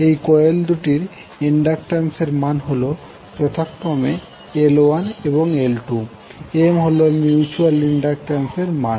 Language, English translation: Bengali, They have inductances as L 1 and L 2 and M is the mutual inductant